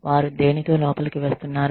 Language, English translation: Telugu, What they are coming in with